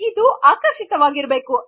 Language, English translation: Kannada, You need to be attractive